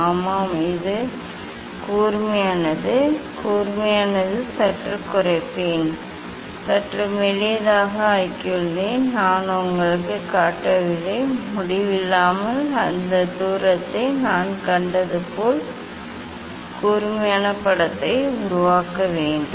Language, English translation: Tamil, Yes, it is sharp, it is sharp, and I will reduce slightly, make it slightly thinner I have made it, I am not showing you, but so to make the sharp image as I have seen at infinity that distance one